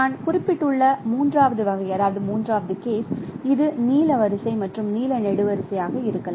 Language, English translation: Tamil, The third case as I mentioned, it could be blue row and blue column